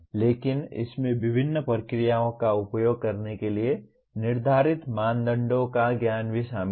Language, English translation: Hindi, But it also includes the knowledge of criteria used to determine when to use various procedures